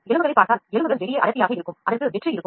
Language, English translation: Tamil, if you see bones, bones are not dense, bones are there are dense outside it is dense inner it is hollow